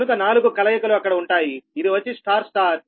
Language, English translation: Telugu, so four combinations will be there star star